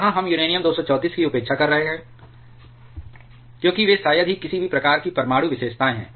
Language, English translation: Hindi, Here we are neglecting uranium 234, because they are hardly has any kind of nuclear characteristics